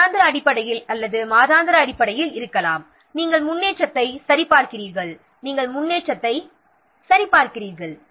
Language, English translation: Tamil, That means it is regular, may, might be weekly basis or monthly basis, you will check the progress